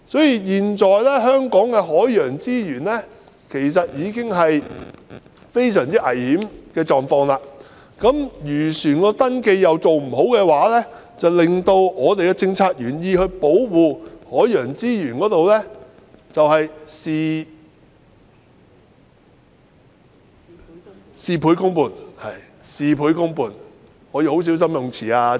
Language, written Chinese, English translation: Cantonese, 因此，現時香港的海洋資源已處於非常危險的狀況，如果漁船的登記又做得不好的話，便會令原意是保護本港海洋資源的政策事倍功半。, Therefore the marine resources in Hong Kong are in great peril now . If the registration of fishing vessels is not conducted adequately the policies which originally aim to conserve marine resources in Hong Kong would get half the result with twice the effort